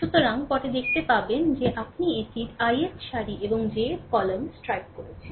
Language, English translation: Bengali, So, later we will see that you just strike it of ith throw and jth column